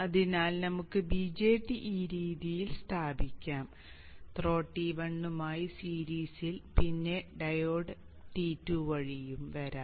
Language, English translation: Malayalam, So we can place the BJT in this fashion in series there with the throw T1 and the diode can come along through T2